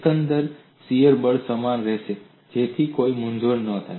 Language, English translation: Gujarati, The overall shear force would remain same, that there is no confusion